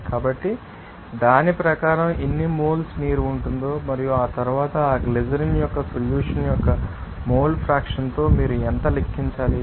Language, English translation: Telugu, So, according to that we can see that how many moles of water will be there simply and after that, you have to calculate how much with a you know mole fraction of what are in the, you know solution of that glycerin